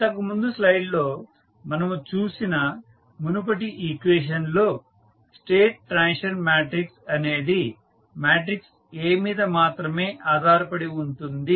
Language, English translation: Telugu, Now, view of previous equation which we have just see in the previous slide the state transition matrix is dependent only upon the matrix A